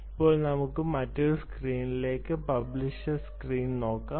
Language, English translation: Malayalam, now lets move to the other screen, the, the publishers screen